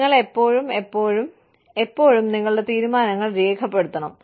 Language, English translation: Malayalam, You should, always, always, always, document, your decisions